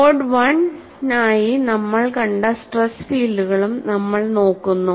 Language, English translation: Malayalam, And we also look at the kind of stress fields that we saw for the mode 1